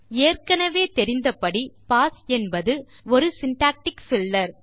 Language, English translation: Tamil, As we already know, pass is just a syntactic filler